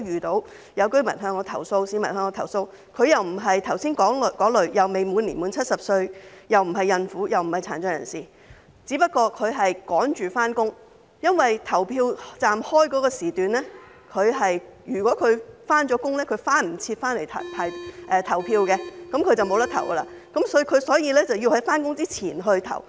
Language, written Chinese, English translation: Cantonese, 曾有市民向我投訴，他不是剛才提及的那數類人，即他未滿70歲，亦不是孕婦或殘疾人士，他只是趕着上班；因為投票站的開放時段所限，他上班後便會趕不及回來投票，失去投票的機會，所以他要在上班前投票。, He was under 70 not a pregnant woman or a person with disabilities . He was just in a hurry to go to work . Owing to the limited opening hours of the polling station after going to work he would not be able to come back in time and would lose his chance to vote